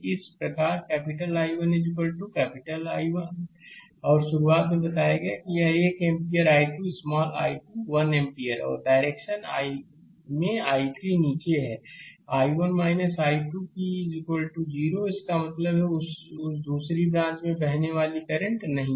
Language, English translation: Hindi, Thus capital I 1 is equal to i 1 and I told you at the beginning it is 1 ampere I 2 is equal to small i 2 is 1 ampere and capital I 3 in the direction is downwards I 1 minus I 2 that is equal to 0; that means, in that second branch there is no current flowing, right